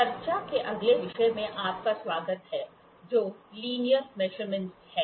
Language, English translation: Hindi, Welcome to the next topic of discussion which is Linear Measurements